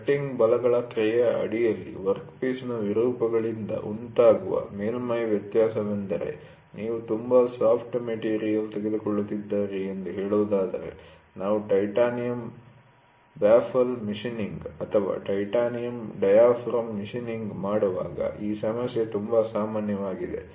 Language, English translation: Kannada, The surface variation caused by the deformations of the workpiece under the action of cutting forces that means, to say you are taking a very soft material, this problem is very common when we do titanium baffle machining or titanium diaphragm machining